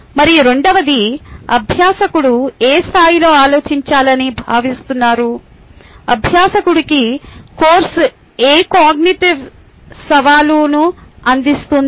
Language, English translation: Telugu, and the second one is in which level the learner is expected to think what cognitive challenge the course is offering to the learner